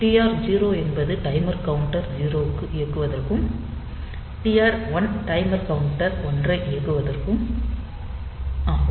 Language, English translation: Tamil, So, TR 0 is for running the timer counter 0 and TR 1 is for running the timer counter 1